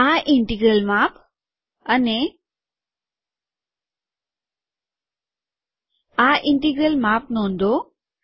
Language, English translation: Gujarati, Note the size of this integral size and this integral